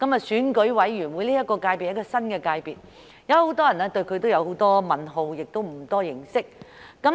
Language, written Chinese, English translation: Cantonese, 選委會界別是一個新的界別，有很多人對它也有很多問號，不太認識。, ECC is a new constituency many people have a lot of questions about it and they do not have much understanding of it